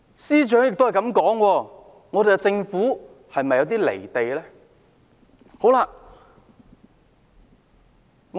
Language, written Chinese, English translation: Cantonese, 司長這樣說，政府是否有些"離地"呢？, As the Financial Secretary has likewise made such a remark is not the Government divorced from reality?